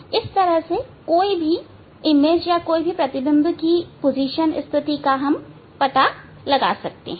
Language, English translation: Hindi, this way one can find out the position of the image